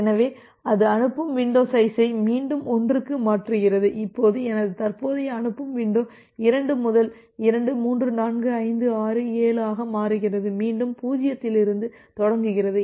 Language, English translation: Tamil, So, it sends it shifts the sending window for 1 again, now my current sending window becomes 2 to 2 3 4 5 6 7 and again starts from 0